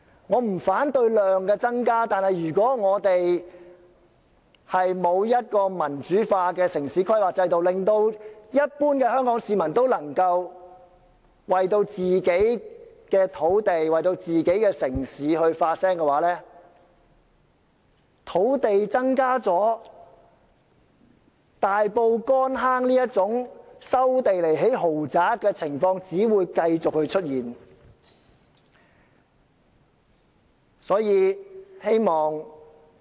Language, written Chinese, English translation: Cantonese, 我不反對量的增加，但如果我們沒有民主化的城市規劃制度，使一般香港市民能為自己的土地及城市發聲的話，即使土地增加了，像大埔乾坑村這種收地以興建豪宅的情況只會繼續出現。, I do not oppose the increase in the land supply but without a democratized town planning system that allows the people to speak for their own land and city even though land supply is increased incidents such as resuming land in Kon Hang Village for building luxury apartments will continue to occur